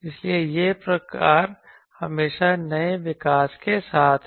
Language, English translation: Hindi, So, that type up always with the new developments